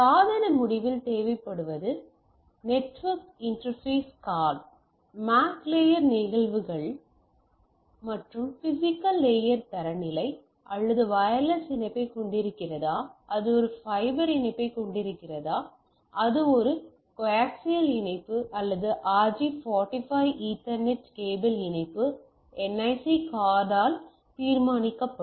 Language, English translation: Tamil, So, what we require at our end at the device end is a network interface card; the NIC typically takes care of both your data link layer phenomena for more to say MAC layer phenomena and the physical layer standard, whether it is having a wireless connectivity, whether it is having a fibre connectivity whether it is having a coaxial connectivity or a RJ 45 Ethernet cable connectivity that is decided by your NIC card